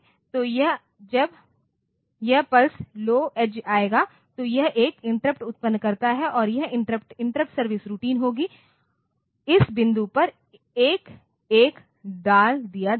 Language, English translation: Hindi, So, this when this pulse low edge will come; so, it with generate an interrupt and that interrupt will be interrupt service routine will be putting a 1 at this point ok